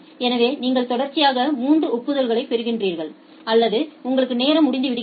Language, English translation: Tamil, So, you are getting 3 duplicate acknowledgements or you are having a time out